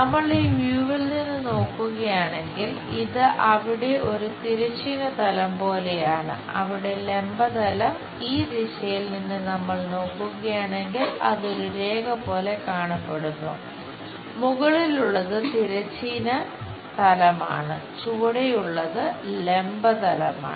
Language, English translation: Malayalam, If, we are looking from this view this makes like horizontal plane there, vertical plane there, if we are looking from this direction it looks like a line top one is horizontal plane, bottom one is vertical plane